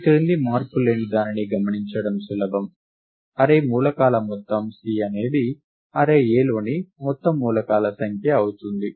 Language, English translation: Telugu, It is easy to observe the following invariant that, the sum of the array elements C is the total number of elements in the array A